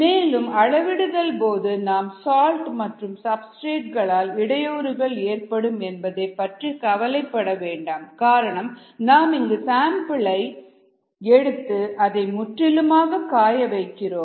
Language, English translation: Tamil, so for you need to worry about in during this measurement, interference by salts and substrates, also because your we are taking a sample here, drying out the whole thing